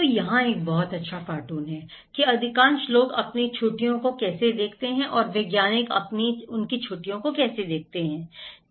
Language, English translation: Hindi, So, here is a very good cartoon, that how most people view their vacations and how scientists view their vacations, okay